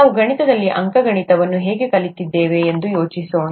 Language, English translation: Kannada, Let us think about how we learnt arithmetic, in mathematics